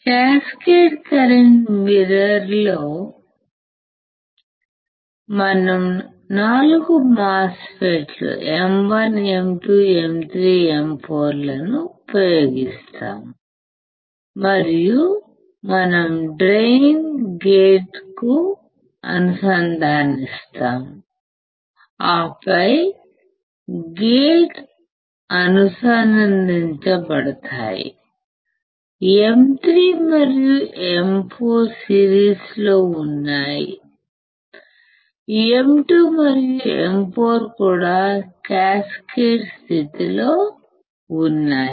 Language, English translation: Telugu, We use 4 MOSFETs M 1, M 2, M 3, M 4, we use 4 MOSFETs and we connect the drain to the gate like this, this drain to the gate in this manner, and then this gates are connected, this one is connected like this, M 3 and M 4 are in series, M 2 and M 4 are also in cascaded condition all right